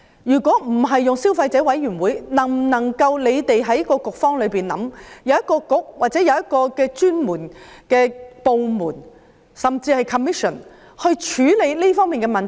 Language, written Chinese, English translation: Cantonese, 如果不交由消委會規管，政府能否由局方或由某專門部門，甚至一個專責委員會去處理這方面的問題？, If the problem should not be handled by CC will the Government designate a Bureau or a certain department or even a dedicated commission to deal with the problem?